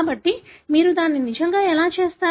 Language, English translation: Telugu, So, how you really do that